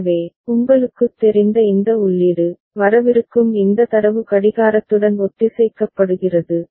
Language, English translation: Tamil, So, this input you know, this data that is coming is synchronized with the clock right